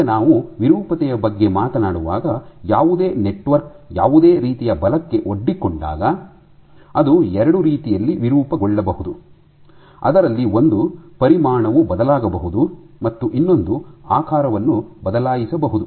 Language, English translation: Kannada, Now when we talk about deformation, when any network is exposed to any kind of forces it can deform in 2 way, one in which the volume can change and one in which the shape can change